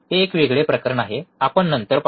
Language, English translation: Marathi, That is different case, we will see